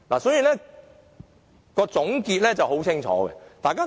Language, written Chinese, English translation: Cantonese, 所以，總結是很清楚的。, Hence the conclusion is very clear